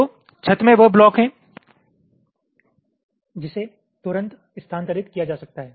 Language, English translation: Hindi, so ceiling is the blocks which can be moved immediately